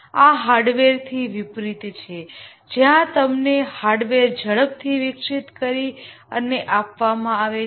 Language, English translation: Gujarati, This is unlike hardware where you get the hardware quickly developed and given